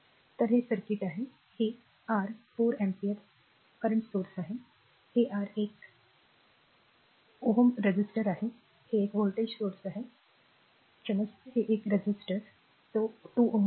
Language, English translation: Marathi, So, this is the circuit, this is your ah 4 ampere current source , this is your one t ohm resistor is there, this is one voltage source ah sorry one resistor is that 2 ohm